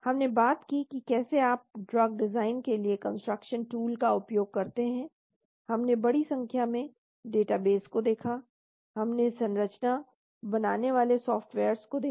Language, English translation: Hindi, We have talked about how do you make use of computation tools for drug design, we looked at huge number of databases, we looked at structure drawing softwares